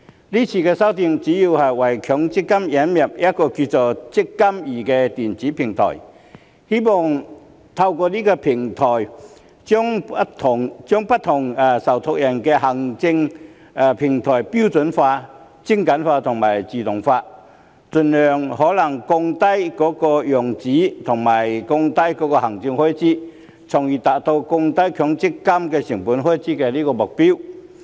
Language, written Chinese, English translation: Cantonese, 今次修訂主要是為強制性公積金引入一個名為"積金易"的電子平台，希望透過這個平台將不同受託人的行政平台標準化、精簡化和自動化，盡可能減少用紙及降低行政開支，從而達至降低強積金開支的目標。, This amendment exercise mainly seeks to introduce an electronic platform known as the eMPF Platform for the Mandatory Provident Fund MPF . It is hoped that the administrative platforms of various trustees can be standardized streamlined and automated through this platform with a view to reducing paper usage and lowering the administrative expenses as far as possible thereby achieving the goal of reducing MPF expenses